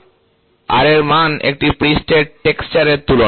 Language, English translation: Bengali, Ra value is a surface texture comparison